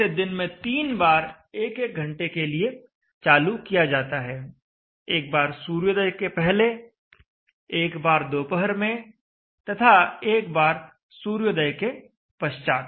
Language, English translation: Hindi, So it is it is switched on three times daily for one hour duration each and it is switched on once before sunrise, once at noon and once after sunset